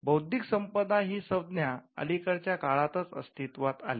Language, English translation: Marathi, So, the term intellectual property has been of a recent origin